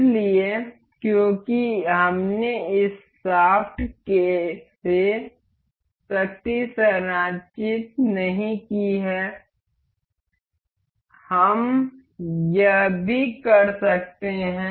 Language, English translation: Hindi, So, because we have not transmitted power from this to this shaft, we can also do this